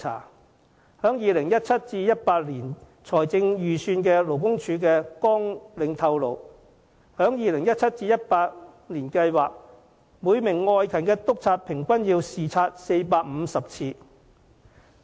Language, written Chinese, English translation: Cantonese, 勞工處的 2017-2018 年度財政預算綱領顯示，處方計劃在 2017-2018 年度要每名外勤督察平均視察450次。, According to the Labour Departments 2017 - 2018 Estimate for the relevant programmes the Department plans to have each field inspector making 450 inspections on average during the said period